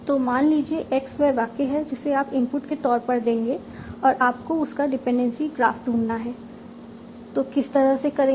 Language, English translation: Hindi, So, suppose X is the sentence that you are giving as input and you want to find out its dependency graph